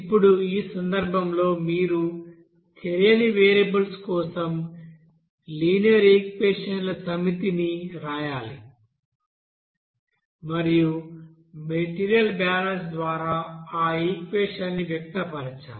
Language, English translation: Telugu, Now in this case you have to you know write the set of linear equations for unknown variables here and express that, you know equations by material balance